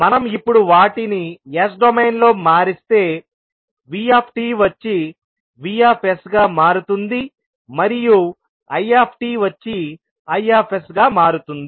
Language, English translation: Telugu, Now, if we have to convert them into s domain vt will become vs, it will become i s